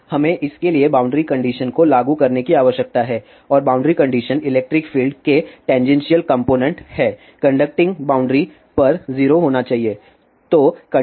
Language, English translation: Hindi, Now, we need to apply boundary conditions for this and the boundary conditions are the tangential component of the electric field should be 0 at the conducting boundary